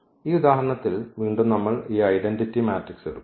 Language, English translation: Malayalam, In this example again we will take this identity matrix